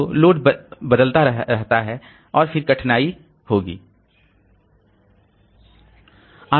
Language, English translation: Hindi, So, if the load is changing, then there will be difficulty